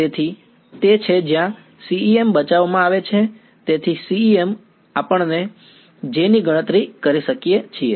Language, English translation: Gujarati, So, that is where CEM comes to the rescue right so, CEM we calculate J